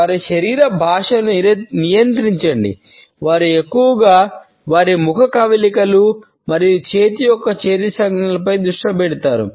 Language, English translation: Telugu, Control their body language; they focus mostly on their facial expressions and hand and arm gestures